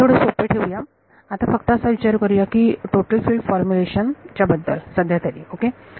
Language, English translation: Marathi, But let us keep it simple let us just think about total field formulation for now ok